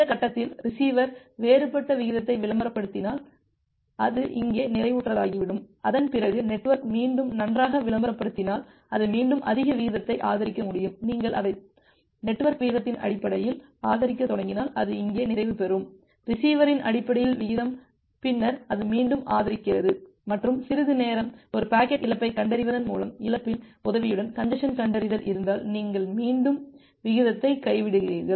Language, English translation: Tamil, At this point if the receiver advertise some different rate it will get saturated here, after that if the network again advertise that well it can support higher rate again you start increasing it based on the network rate it will get saturated here, based on the receiver rate and then it increases again and some time if there is a congestion detection with the help of a loss with the detection of a packet loss, you again drop the rate